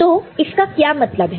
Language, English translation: Hindi, So, what it means